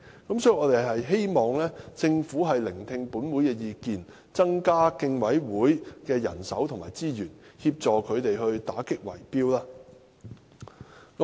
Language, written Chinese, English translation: Cantonese, 因此，我們希望政府聽取本會的意見，增加競委會的人手及資源，協助他們打擊圍標。, Hence we hope that the Government will heed the views of this Council and increase the manpower and resources of the Commission so as to assist them in combating bid - rigging